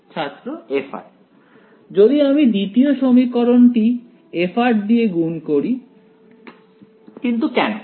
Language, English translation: Bengali, If I multiply the second equation by f of r why